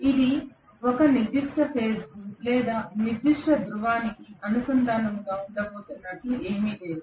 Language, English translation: Telugu, There is nothing like it is going to be affiliated to a particular phase or particular pole